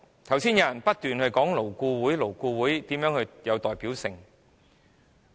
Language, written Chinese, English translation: Cantonese, 剛才有議員不斷強調勞顧會的代表性。, Just now some Members repeatedly emphasized the representativeness of LAB